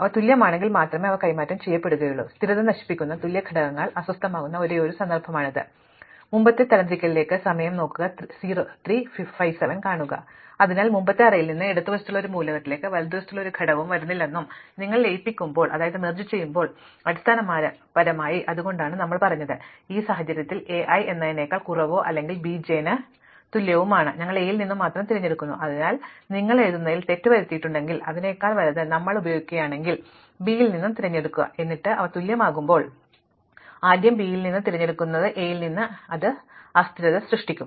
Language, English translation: Malayalam, So, we have to make sure that no element from the right comes to an element to the left of something from the earlier array and when you are merging, basically that is why we said that in the case, A i is less than or equal to B j, we pick from A and onlyÉ So, if you had made the mistake of writing less than and then we use greater than equal to, select from B, then when they are equal, we first pick from B and not from A and that would create instability